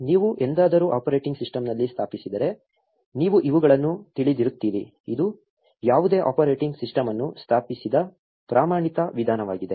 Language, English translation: Kannada, If you have ever installed in operating system, you will know these, this is standard way any operating system is installed